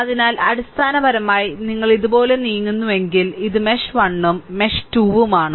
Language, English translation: Malayalam, So, basically if you move like this, for this is mesh 1 and this is mesh 2